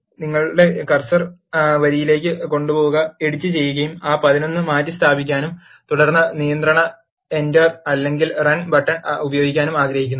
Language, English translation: Malayalam, Take your cursor to the line, which you want to edit, replace that 11 by 14 and then use control enter or the run button